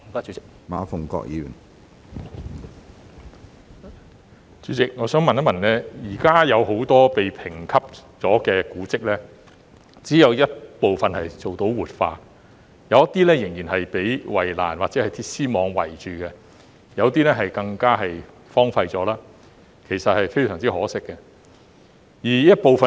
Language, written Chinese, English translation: Cantonese, 主席，現時只有部分已獲評級的古蹟做到活化，其餘仍然被圍欄或鐵絲網圍着，有些更已荒廢，其實非常可惜。, President at present only some of the heritage spots which have received grading are revitalized while the rest have been fenced off or enclosed by barbed wire and some have even become desolate . It is a pity indeed